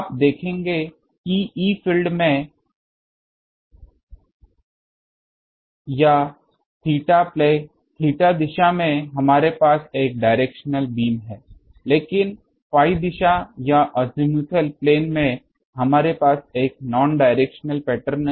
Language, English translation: Hindi, You will see that in the E field or in the theta play theta direction we have a directed beam, but in the phi direction or in the azimuthal plane, we have a non directional pattern